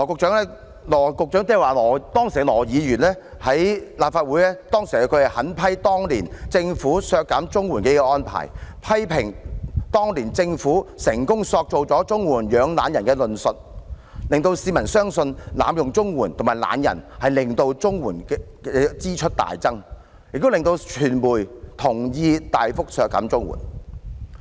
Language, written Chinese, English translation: Cantonese, 當時的羅議員在立法會上狠批政府削減綜援的安排，批評當年的政府成功塑造"綜援養懶人"的論述，令市民相信濫用綜援和懶人會令綜援支出大增，也令傳媒同意大幅削減綜援。, Back then Dr LAW condemned the Governments arrangement for the CSSA cut . He criticized the then incumbent Government for successfully creating the impression that CSSA nurtures lazybones prompting the public to believe that abuse of CSSA and lazy people would increase the expenditure on CSSA drastically and the media to agree with the significant cut in CSSA